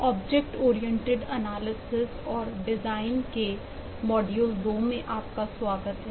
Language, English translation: Hindi, welcome back to module 2 of object oriented analysis and design